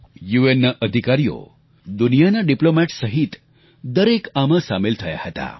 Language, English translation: Gujarati, The staff of the UN and diplomats from across the world participated